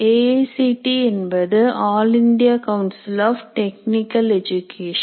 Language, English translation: Tamil, AICT is All India Council for Technical Education